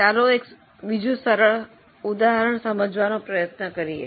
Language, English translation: Gujarati, Now, let us try to do one simple illustration